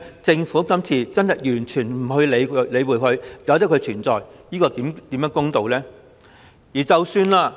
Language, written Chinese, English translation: Cantonese, 政府今次完全不加理會並讓這些嚴重不對等的情況繼續存在，怎算公道？, In this amendment exercise the Government has totally ignored the situation and allowed the continuous existence of this seriously unequal situation . How can fairness be attained?